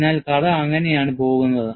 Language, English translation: Malayalam, So, that is how the story goes